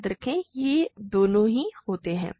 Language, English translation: Hindi, Remember these both happen